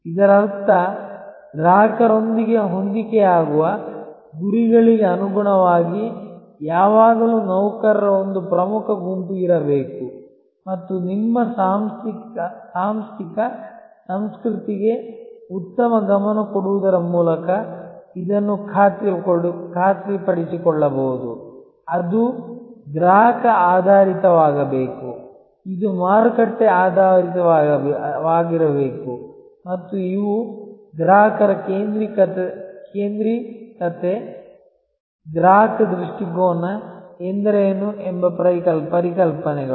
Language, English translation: Kannada, That means there has to be always a core set of employees in tune with customers, in tune with the goals and that can be often ensured by paying good attention to your organizational culture, which should be customer oriented, which should be market oriented and these are concepts that what does it mean customer centricity, customer orientation